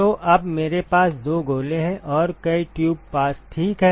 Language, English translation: Hindi, So, now, I have two shells and several several tube passes ok